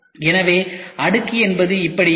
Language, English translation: Tamil, So, this is how the layer looks like